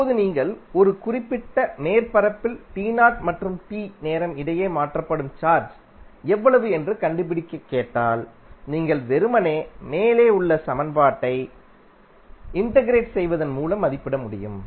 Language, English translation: Tamil, Now, if you are asked to find how much charge is transferred between time t 0 to t in a particular surface, you can simply evaluate by integrating the above equation